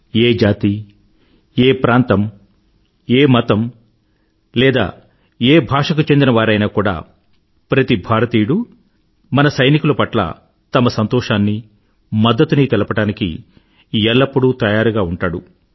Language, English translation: Telugu, Every Indian, irrespective of region, caste, religion, sect or language, is ever eager to express joy and show solidarity with our soldiers